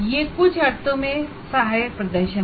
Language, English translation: Hindi, That is in some sense assisted performance